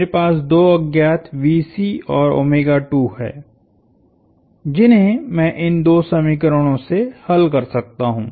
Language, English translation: Hindi, I have two unknowns VC and omega2 that I can solve for from these two equations